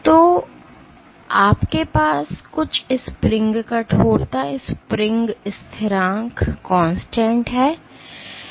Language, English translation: Hindi, So, you have some spring stiffness, spring constant